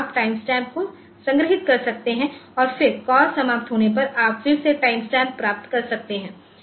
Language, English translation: Hindi, So, you can you can have the timestamp stored and then when the call is ending you can again get the timestamp